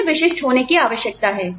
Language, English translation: Hindi, They need to be specific